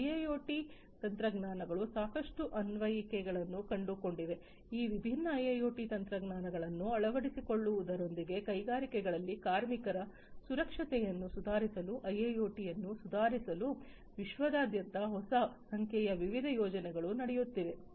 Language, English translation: Kannada, IIoT technologies have found lot of applications there are new number of different projects that are running on you know worldwide to improve IIoT to improve worker safety in the industries with the adoption of these different IIoT technologies